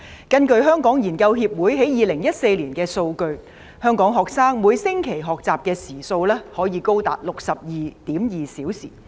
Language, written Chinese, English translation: Cantonese, 根據香港研究協會於2014年的數據，香港學生每星期的學習時數，可以高達 62.2 小時。, According to the figures provided by the Hong Kong Research Association in 2014 the average number of learning hours per week for Hong Kong students is as high as 62.2 hours